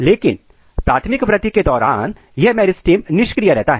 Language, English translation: Hindi, But during primary growth this meristems are not getting activated